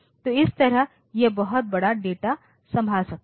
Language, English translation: Hindi, So, that way it can handle much larger data